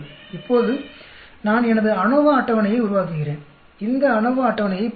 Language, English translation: Tamil, Now I make my ANOVA table, look at this ANOVA table